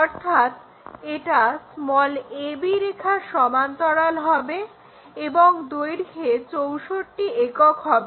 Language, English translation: Bengali, So, this will be parallel to a b line and this will be our 64 units